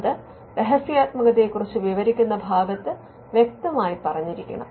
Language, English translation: Malayalam, So, that has to be clearly spelled out in the confidentiality part